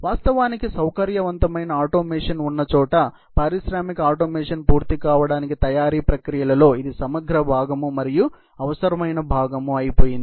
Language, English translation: Telugu, In fact, wherever there is a flexible automation, it is probably become an integral part and necessary part of manufacturing processes for industrial automation to be complete